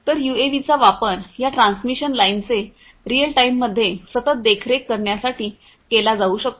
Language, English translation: Marathi, So, UAVs could be used to do real time continuous monitoring of these transmission lines